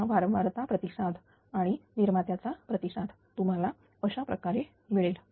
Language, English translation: Marathi, This frequency response and generation response you will get like this ah will